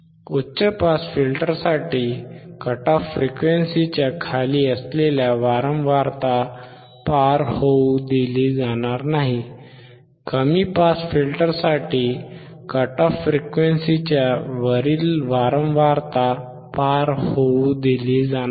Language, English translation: Marathi, For the high pass filter, certain low frequency below the cut off frequency will not be allowed to pass; for the low pass filter the frequency above the cut off frequency will not be allowed to pass